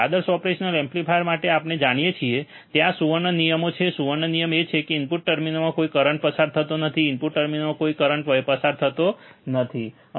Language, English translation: Gujarati, For ideal operational amplifier we know, right there are golden rules the golden rule is that no current flows into the input terminals, no current flows into the input terminals, right